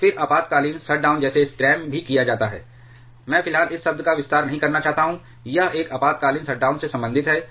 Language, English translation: Hindi, And then emergency shutdown which is also called scram, I do not want to expand this term just equate this acronym at the moment, this is related to an emergency shutdown